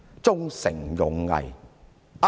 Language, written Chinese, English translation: Cantonese, "忠誠勇毅"？, Honour duty and loyalty?